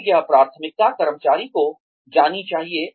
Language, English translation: Hindi, And, this priority, should be made known, to the employee